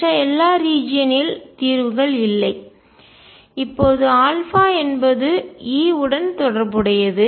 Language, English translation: Tamil, And for all the other region solution does not exists, now alpha is related to e